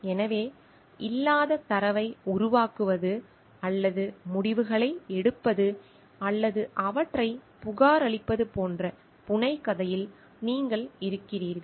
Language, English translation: Tamil, So, you are in the fabrication you are like making up data which does not exist or results or reporting them